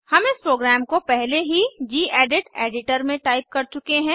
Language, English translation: Hindi, I have already typed a program in the gedit editor